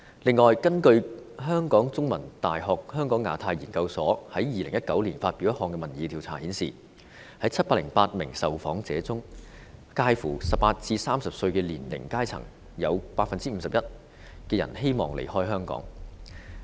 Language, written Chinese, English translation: Cantonese, 此外，根據香港中文大學香港亞太研究所在2019年發表的一項民意調查顯示，在708名受訪者中，介乎18歲至30歲的年齡層中有 51% 的人希望離開香港。, Moreover according to the survey findings published by the Hong Kong Institute of Asia - Pacific Studies of The Chinese University of Hong Kong in 2019 among the 708 respondents 51 % of people aged 18 to 30 would like to leave Hong Kong